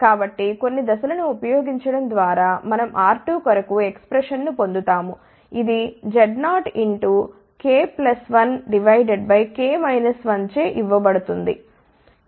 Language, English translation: Telugu, So, by using a few steps we get the expression for R 2, which is given by Z 0 multiplied by k plus 1 divided by j minus 1